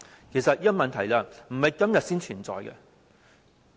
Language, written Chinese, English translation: Cantonese, 其實這個問題並非今天才存在。, Actually this problem does not emerge today